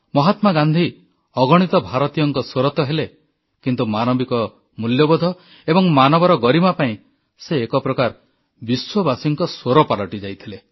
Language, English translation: Odia, Mahatma Gandhi, of course, became the voice of innumerable Indians, in the larger backdrop of upholding human values & human dignity; in a way, he had become the voice of the world